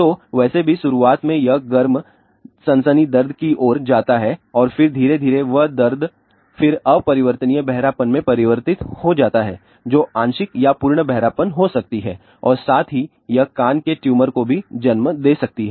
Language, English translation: Hindi, So, anyway this warm sensation in the beginning leads to the pain and then slowly that pin then converts to irreversible hearing loss which can be partial or full hearing loss as well as it can also lead to ear tumor